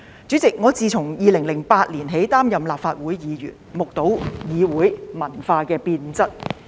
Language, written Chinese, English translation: Cantonese, 主席，我自2008年起擔任立法會議員，目睹議會文化的變質。, President I have been a Member of this Council since 2008 and have witnessed the deterioration of parliamentary culture